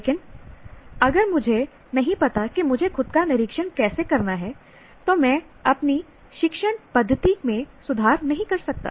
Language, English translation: Hindi, But if I do not know how to observe myself, then I may not be able to improve my method of teaching